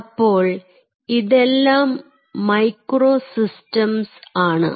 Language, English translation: Malayalam, so these are all micro systems